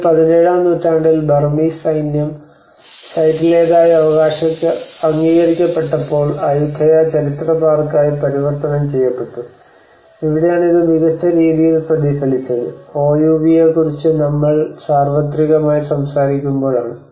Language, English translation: Malayalam, And this has been 17th century it has been destroyed by the Burmese military and then later on it has been converted as a Ayutthaya historical park when it has been recognized as in a school world heritage site, and this is where it has reflected with its outstanding universal value where we talk about OUV